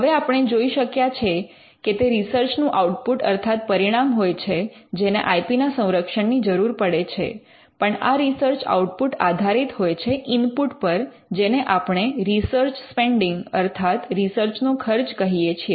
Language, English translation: Gujarati, Now, we have seen that it is the research output that needs IP protection, but research output is based on what we call an input which is the research spending